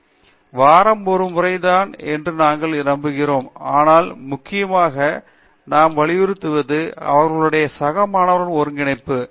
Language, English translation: Tamil, So, we believe once in a week is something, but what we stress on more importantly is their peer interaction